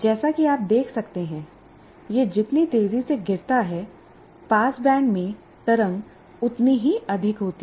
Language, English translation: Hindi, As you can see, the faster it falls, I have a higher ripple in the pass bank